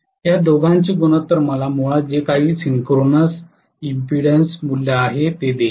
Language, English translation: Marathi, The ratio of these two indirectly gives me the synchronous impedance